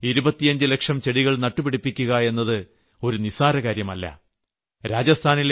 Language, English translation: Malayalam, To plant 25 lakhs of sapling in Rajasthan is not a small matter